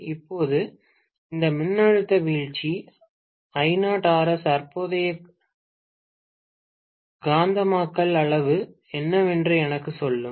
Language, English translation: Tamil, Now, this voltage drop I0 times Rs will tell me what is actually the magnetising current quantity